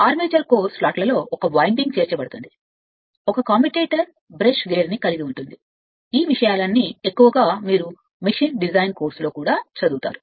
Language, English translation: Telugu, A winding inserted in the armature core slots a commutator a brush gear most all this thing perhaps you will study in your machine design course also if it is there